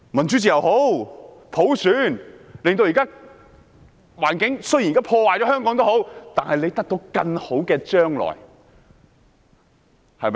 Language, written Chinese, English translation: Cantonese, 即使香港現時的環境被破壞，大家仍會得到更好的將來，對嗎？, Even if Hong Kongs present environment is ruined we will still have a better future right?